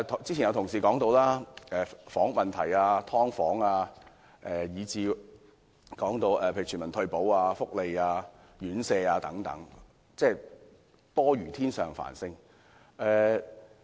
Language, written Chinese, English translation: Cantonese, 之前有同事說過，房屋問題、"劏房"，以至例如全民退保、福利、院舍等問題多如天上繁星。, Some Members have set out many such problems and issues housing supply subdivided units universal retirement protection social welfare and residential care homes